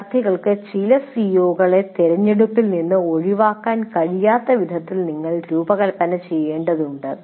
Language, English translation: Malayalam, You have to design in such a way the students cannot leave certain CIVOs out of the choice